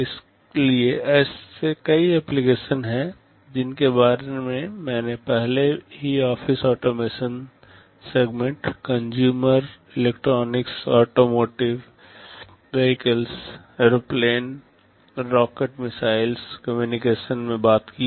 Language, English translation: Hindi, So, there are many applications I already talked about in office automation segment, consumer electronics, automotive, vehicles, airplanes, rockets missiles, communication you will find these devices everywhere